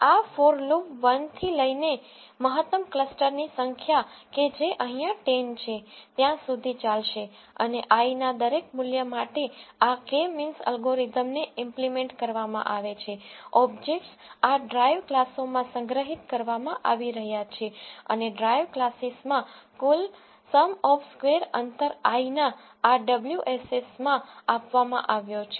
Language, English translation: Gujarati, This for loop will run from 1 to number of maximum clusters that is in this case it is 10 and for each value of i this k means algorithm is implemented the objects are being stored into this drive classes and in the drive classes the total within some of square's distance is being allocated into this WSS of i and the size of the cluster is allocated into the components of the list which you have created